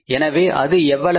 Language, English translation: Tamil, Sales are how much